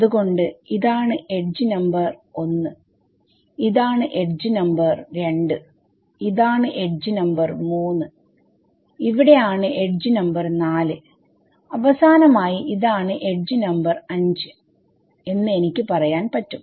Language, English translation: Malayalam, So, I can say edge number 1 is this, edge number 2 is this, edge number 3 is here and edge number 4 comes here and finally, I have edge number 5 ok